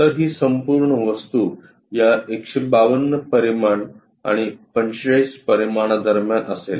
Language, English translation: Marathi, So, this entire object will be in between this 152 dimensions and 45 dimensions